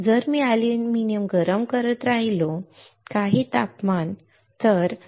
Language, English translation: Marathi, If I keep on heating the aluminum at some temperature, right